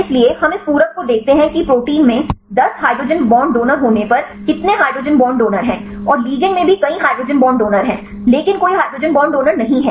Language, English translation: Hindi, So, we see the complementarity how what is the how many hydrogen bond donors, if there is 10 hydrogen bond donors in the proteins, and the ligand also there are several hydrogen bond donors, but no hydrogen bond acceptor